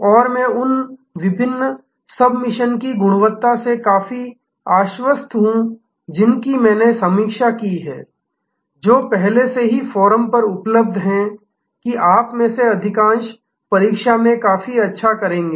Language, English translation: Hindi, And I am quite sure from the quality of the various submissions that I have reviewed, which are already available on the forum that most of you will do quite well at the exam